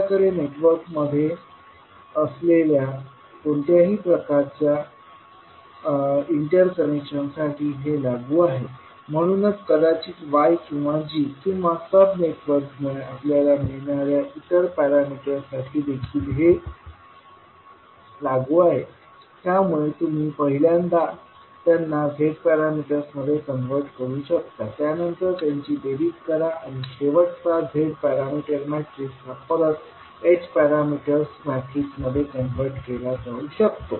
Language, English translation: Marathi, So this is applicable for any type of interconnection which we may have in the network, so the same is for maybe Y or G or any other parameter which you get from the sub networks, so you can first convert them into the Z parameters, then add them and the final Z parameter matrix can be converted back into H parameters matrix